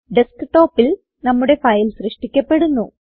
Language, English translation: Malayalam, Our file will be created on the desktop